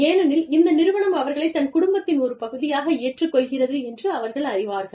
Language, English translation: Tamil, Because, they know, that the organization is accepting them, as part of the organization's family